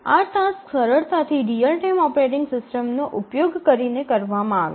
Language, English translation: Gujarati, So, these are easily done using a real time operating system